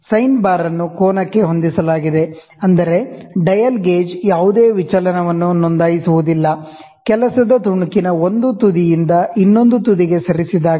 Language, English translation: Kannada, The sine bar is set at an angle, such that the dial gauge registers no deviation, when moved from one end of the work piece to the other end